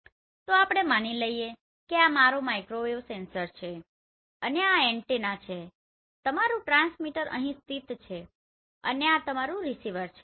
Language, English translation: Gujarati, So let us understand this assuming this is my microwave sensor and these are antenna and your transmitter is located here and this is your receiver